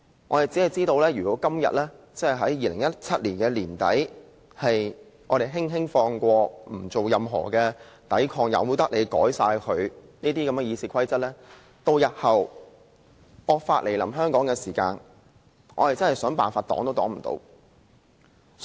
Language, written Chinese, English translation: Cantonese, 我只知道如果我們在2017年年底的今天輕輕放過這件事，不作任何抵抗，任由他們修改《議事規則》，日後當惡法來臨香港時，我們便真的想抵擋也抵擋不了。, I only know that should this matter be taken lightly today at the end of 2017 without putting up any resistance and leaving RoP to their arbitrary amendment there is no way we can resist draconian laws should they be introduced into Hong Kong in future